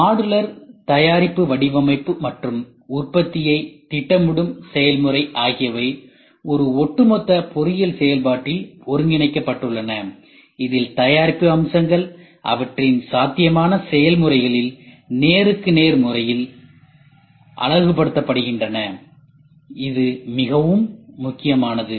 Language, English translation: Tamil, Modular product design and the process of planning the production are integrated in one overall engineering process in which the product features are mapped into their feasible processes in a one to one correspondence this is very important